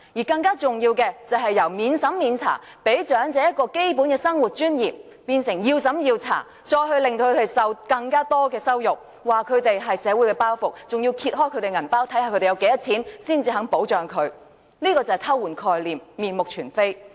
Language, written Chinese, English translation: Cantonese, 更重要的是，由免審查，給長者基本的生活尊嚴，變成要審查，令他們受到更多羞辱，指他們是社會的包袱，更揭開他們的荷包，看看他們有多少錢，才肯保障他們，這便是偷換概念，面目全非。, Moreover OALA which should be non - means - tested to provide the elderly with the basic dignity of living is now means - tested subjecting the elderly to more humiliation . The Government claims that elders are burdens of society and assessment is conducted to see how much money they have before provision of protection . That is mixing up different concepts and changing the whole nature of OALA